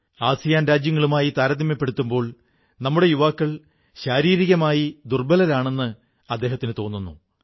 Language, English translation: Malayalam, He feels that our youth are physically weak, compared to those of other Asian countries